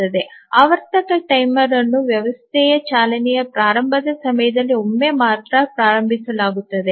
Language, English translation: Kannada, The periodic timer is start only once during the initialization of the running of the system